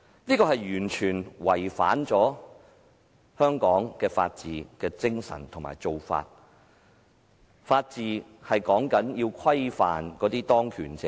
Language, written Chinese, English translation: Cantonese, 這完全違反了香港的法治精神和一貫做法，因為法治是要規範當權者。, This completely violates the rule of law and the established practice in Hong Kong